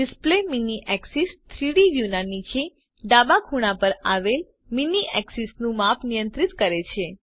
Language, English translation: Gujarati, Display mini axis controls the size of the mini axis present at the bottom left corner of the 3D view